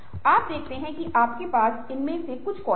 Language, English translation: Hindi, you see that, ah, you have some of these skills